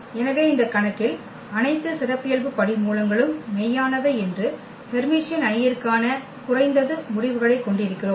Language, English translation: Tamil, So, here we have at least the results for the Hermitian matrix that all the characteristic roots are real in this case